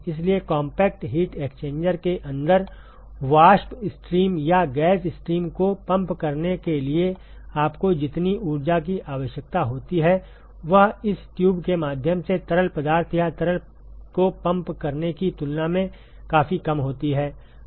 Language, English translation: Hindi, So, the amount of energy that you require to pump vapor stream or a gas stream inside the compact heat exchanger is significantly less compared to that of pumping of fluid or a liquid to through this tube